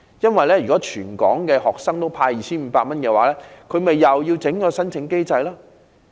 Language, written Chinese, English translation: Cantonese, 如要向全港學生派發 2,500 元，他們豈非又要另設申請機制？, If it is tasked to give 2,500 to every student in Hong Kong it will have to develop another application mechanism right?